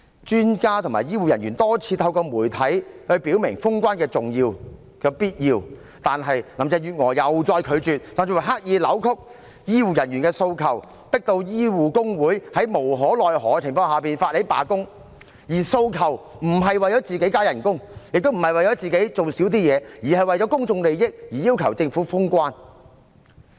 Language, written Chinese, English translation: Cantonese, 專家和醫護人員多次透過媒體表明封關的重要和必要，但林鄭月娥再次拒絕，甚至刻意扭曲醫護人員的訴求，迫使醫護工會在無可奈何的情況下發起罷工，而他們的訴求並非為了個人加薪，亦非為了減少個人的工作量，而是為了公眾利益而要求政府封關。, She even deliberately distorted the demand of the health care officers thus forcing the alliance of health care workers to launch a strike . They did not demand higher pay or less work for themselves . Rather it was for public interest that they requested the Government to close all the boundary control points